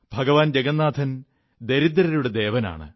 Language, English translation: Malayalam, Lord Jagannath is the God of the poor